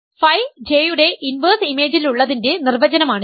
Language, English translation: Malayalam, This is the definition of being in the inverse image of phi J